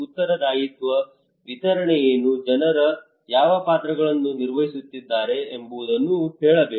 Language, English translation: Kannada, Accountable, what is the distribution what are the roles people are playing